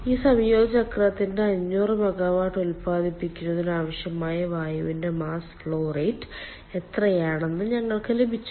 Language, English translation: Malayalam, we have also got what is the mass flow rate of air needed for this combined cycle to produce five hundred megawatt